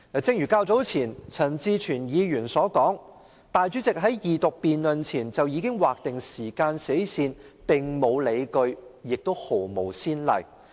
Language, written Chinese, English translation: Cantonese, 正如較早前陳志全議員所說，主席在二讀辯論前便劃定時間死線的做法並無理據，亦無先例。, As Mr CHAN Chi - chuen said earlier on there was no justification and no precedent for the President to set a time limit on the Second Reading debate beforehand . Let me do a calculation based only on the number of Members